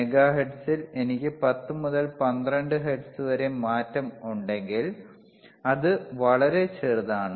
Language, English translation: Malayalam, iIn megahertz if I have 10 to 12 hertz change it is very small